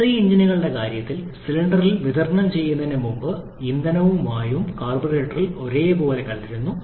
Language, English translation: Malayalam, Because in case of SI engine, the fuel and air are uniformly mixed in the carburetor before supplying to the cylinder